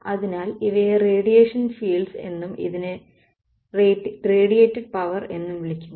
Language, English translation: Malayalam, So, these are called radiation fields and this is called radiated power